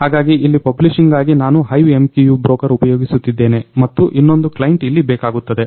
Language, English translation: Kannada, So, here for publishing purpose, I am using the HiveMQ broker and there is another client is required over here